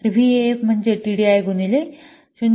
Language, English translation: Marathi, So, VF is equal to TDI into 0